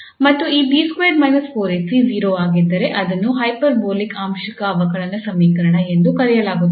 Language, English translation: Kannada, Similarly, if this B square minus 4 AC is positive then this equation is called hyperbolic partial differential equation